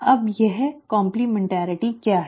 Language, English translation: Hindi, Now what is that complementarity